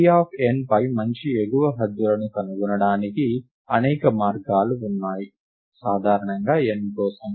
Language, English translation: Telugu, There are many ways to find good upper bounds on t of n for n in general